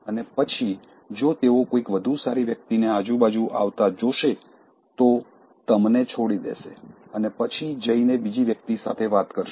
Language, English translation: Gujarati, And then, if they see somebody better coming around, they will just leave you on the ledge and then go and talk to the other person